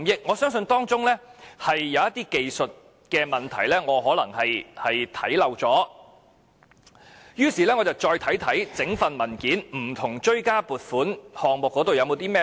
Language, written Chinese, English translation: Cantonese, 我相信當中有些技術性問題可能是我忽略了，於是我再看看整份文件不同的追加撥款項目有甚麼線索。, I believed there must be some technical issues that I might have neglected so I went through all the items in the supplementary appropriation for some clues